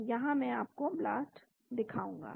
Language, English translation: Hindi, So, I will show you the BLAST here